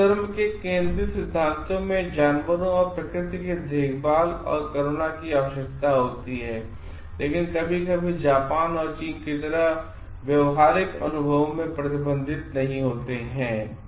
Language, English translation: Hindi, The central tenets of Hinduism require care and compassion for animals and nature, but these sometimes does not reflect to be the reflection in their practical experiences like in Japan and China